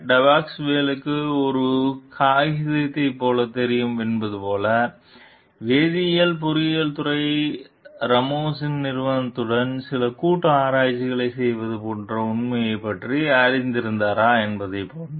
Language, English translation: Tamil, Like whether Depasquale knew like the same paper; like whether she was knowledgeable about the fact like the chemical engineering department was doing some collaborative research with the Ramos s company